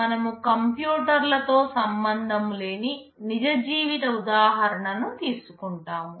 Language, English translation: Telugu, We take a real life example, which has nothing to do with computers